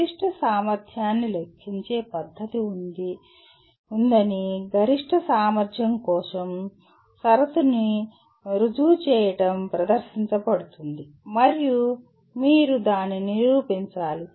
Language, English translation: Telugu, Proving the condition for maximum efficiency that there is a method of computing maximum efficiency is presented and you have to prove that